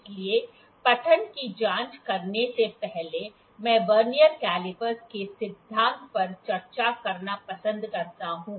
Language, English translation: Hindi, So, before checking the reading I like to discuss the principle of Vernier caliper